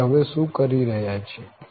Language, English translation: Gujarati, So, what we are doing now